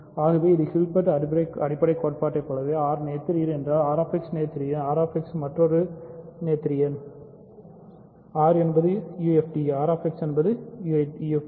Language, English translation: Tamil, So, if because this is just like Hilbert basis theorem if R is noetherian, R X is noetherian then R X another variable is also noetherian; similarly if R is a UFD R X is UFD